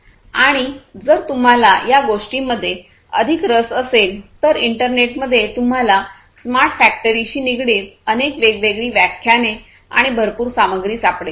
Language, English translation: Marathi, And if you are further interested you can go through, in the internet you will be able to find lot of different other lectures and different other materials on smart factories